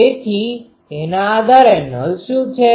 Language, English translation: Gujarati, So, based on that so what are nulls